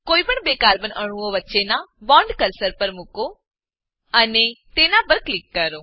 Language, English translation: Gujarati, Place the cursor on the bond between any two carbon atoms and click on it